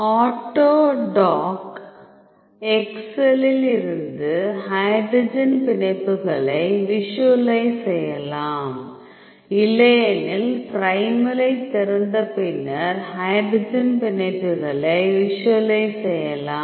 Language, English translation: Tamil, So, from autodock excel you can visualize the hydrogen hydrogen bonds or else you can open the primal and then you can visualize the hydrogen bonds